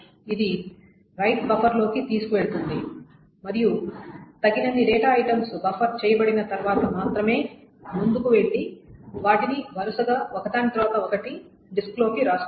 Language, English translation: Telugu, It puts it into the right buffer and only after a sufficient rights have been buffered, it then goes ahead and writes them one after another sequentially in the thing